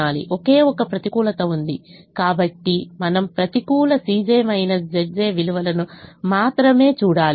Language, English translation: Telugu, there is only one, negative, so we have to look at only negative c